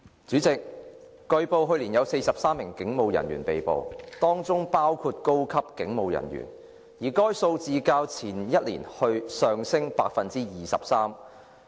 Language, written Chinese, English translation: Cantonese, 主席，據報，去年有43名警務人員被捕，當中包括高級警務人員，而該數字較前一年上升百分之二十三。, President it has been reported that 43 police officers including senior police officers were arrested last year and such number represented an increase of 23 % as compared with that of the preceding year